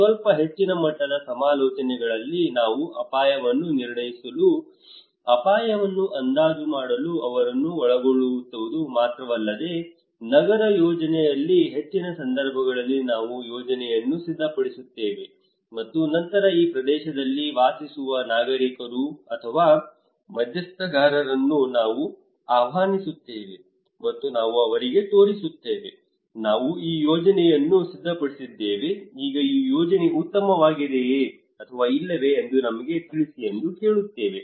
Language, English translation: Kannada, In little higher level value consultations we not only involve them in assessing the risk, estimating the risk but we prepare a plan most of the cases in urban planning we prepare the plan and then those who are living in this areas those who are the citizens or the stakeholders we invite them, and we show them, hey we prepared this plan now tell us this plan is good or not